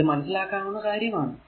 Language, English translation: Malayalam, So, it is understandable to you, right